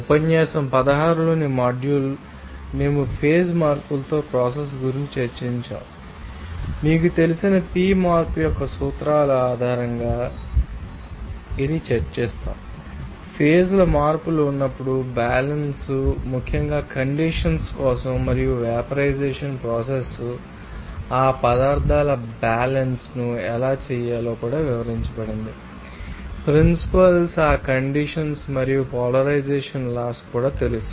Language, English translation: Telugu, Module in lecture 16 we have discuss about the process with phase change and also based on that principles of the you know p change, we have discussed about you know different laws of you know that equilibriums when there is a change of phase, especially for condensation and vaporization process they are also have described how to do that material balance with those, you know that principles, laws of that condensation and polarization